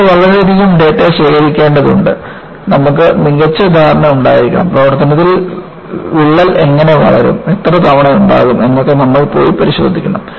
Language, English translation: Malayalam, So, you need to collect lot more data, you need to have better understanding of, how the crack will grow in service and what periodicity that, you have to go and inspect